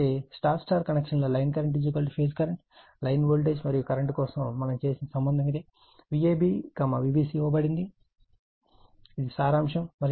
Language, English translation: Telugu, So, this is the relationship whatever we had made for star star line current is equal to phase current, line voltage and current, V a b is given V b c is given this is the summary sorry